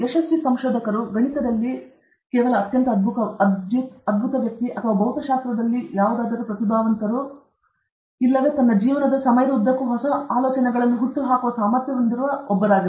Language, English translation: Kannada, So, the successful researcher is not somebody who is just very brilliant in Maths or very brilliant in Physics or whatever; the successful researcher is one who has the ability to keep on generating new ideas throughout his life time okay